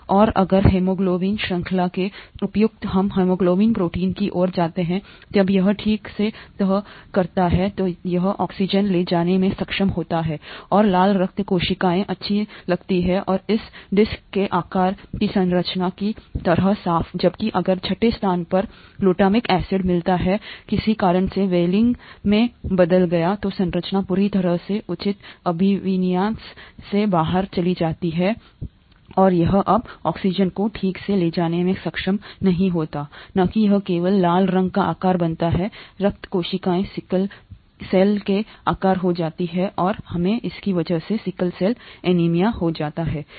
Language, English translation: Hindi, And if the appropriate folding of the haemoglobin chain leads to the haemoglobin protein when it folds properly, then it is able to carry oxygen and the red blood cells looks nice and clean like this disc shaped structure, whereas if in the sixth position the glutamic acid gets changed to valine for some reason, then the structure entirely goes out of proper orientation and it is no longer able to carry oxygen properly, not just that it makes the shape of the red blood cells sickle shaped, and we get sickle cell anaemia because of this